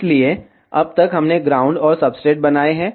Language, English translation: Hindi, So, so far we have made the ground and the substrates